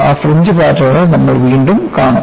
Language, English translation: Malayalam, We will see those fringe patterns again